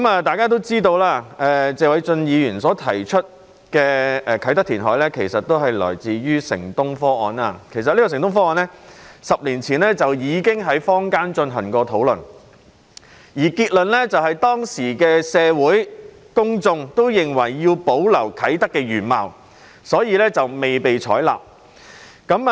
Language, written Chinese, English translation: Cantonese, 大家也知道，謝偉俊議員提出的啟德填海建議來自"城東方案"，這個方案在10年前已經在坊間進行討論，當時的結論是，社會公眾均認為要保留啟德的原貌，所以方案未被採納。, As we all know the Kai Tak reclamation proposal raised by Mr Paul TSE originated from the proposed Project City - E which was discussed in the community a decade ago . At that time the conclusion was that the public found it necessary to keep Kai Tak in its original state and thus the proposal was not accepted